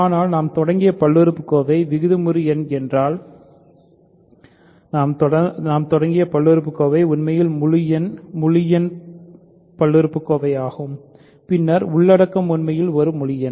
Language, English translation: Tamil, But the polynomial we started with is rational if the polynomial, we started with is actually integer polynomial, then the content is actually an integer